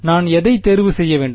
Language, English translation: Tamil, Which one should I choose